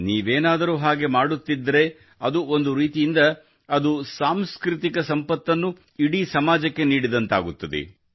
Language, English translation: Kannada, When you do this, in a way, you share a cultural treasure with the entire society